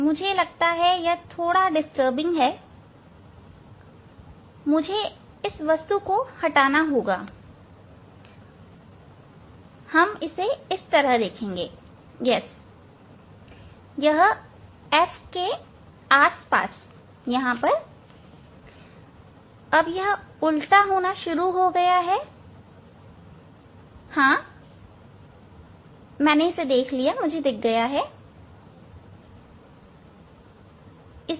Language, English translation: Hindi, I have to remove this one object that is the; we will use as a yes this is the around f now it is started to be inverted, but yes, I got it; yes, I got it